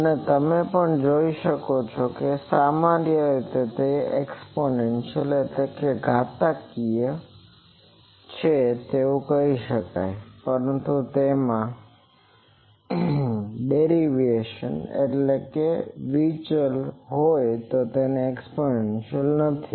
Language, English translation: Gujarati, And also you see that typically it can be said exponential, but it is not exponential there are deviations